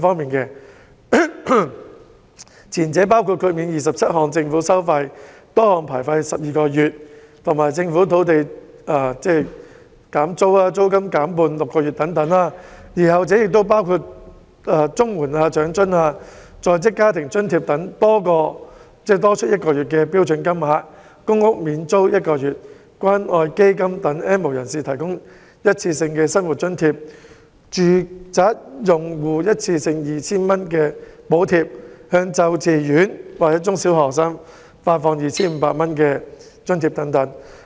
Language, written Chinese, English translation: Cantonese, "撐企業"、"保就業"的措施包括豁免27項政府收費12個月，以及政府土地租約的租金減半6個月等；而"紓民困"的措施包括綜合社會保障援助、長者生活津貼、在職家庭津貼等多項津貼額外發放1個月的標準金額；公屋較低收入租戶免租1個月；關愛基金為 "N 無人士"提供一次過生活津貼；電力住宅用戶一次性 2,000 元的電費補貼；向幼稚園及中小學生發放每人 2,500 元津貼等。, Measures to support enterprises and safeguard jobs include waiving 27 groups of government fees and charges for 12 months and reducing the rental for tenancies of Government land for six months . And measures to relieve peoples burden include granting an additional one - month standard payment of a number of allowances such as CSSA the Old Age Allowance and the Working Family Allowance offering one - month rental exemption to lower income tenants living in public rental housing inviting the Community Care Fund to provide a one - off living subsidy for the N have - nots giving a one - off electricity charge subsidy of 2,000 to each residential electricity account and providing a subsidy of 2,500 per head for kindergarten primary and secondary students